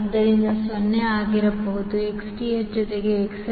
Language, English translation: Kannada, So, what can be 0 is Xth plus XL